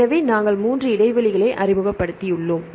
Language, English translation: Tamil, So, we have introduced 3 gaps